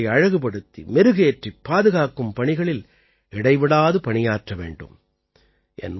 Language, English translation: Tamil, We should also work continuously to adorn and preserve them